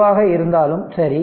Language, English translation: Tamil, So, whatever it comes